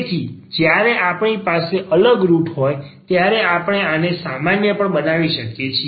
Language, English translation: Gujarati, So, first getting back to the distinct roots, so when we have distinct root we can also generalize this